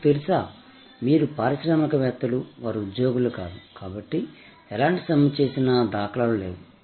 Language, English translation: Telugu, You know, these are entrepreneurs, they are not employees, therefore, there have there is no record of any strike